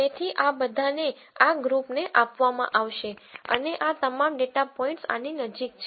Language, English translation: Gujarati, So, all of this will be assigned to this group and all of these data points are closer to this